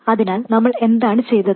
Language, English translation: Malayalam, So, what did we do